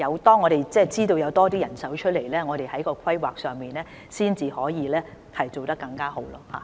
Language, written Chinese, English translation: Cantonese, 當我們知道有多些人手的時候，才可以在規劃方面做得更好。, We can do better in planning only when we know that there will be more manpower